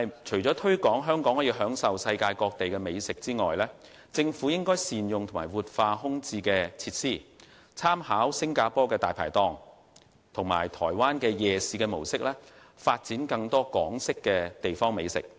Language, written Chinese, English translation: Cantonese, 除推廣香港匯聚世界各地的美食外，政府亦應善用和活化空置設施，參考新加坡"大牌檔"及台灣夜市模式，發展更多港式地方美食。, In addition to promoting Hong Kong as a city boasting delicacies from around the world the Government should also better utilize and revitalize vacant facilities . With reference to the examples of Dai Pai Dong food stalls in Singapore and the night markets in Taiwan more delicacies with Hong Kong characteristics can be developed